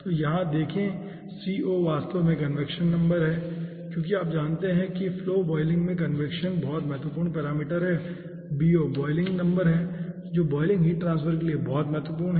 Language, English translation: Hindi, okay, so here see, co is actually convection number because you know in flow boiling convection important parameter and bo is the boiling number which is important for boiling heat transfer